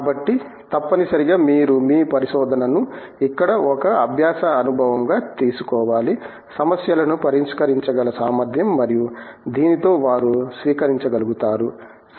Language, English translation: Telugu, So, essentially you have to take your research here as a learning experience, the ability to solve problems and with this they are able to adapt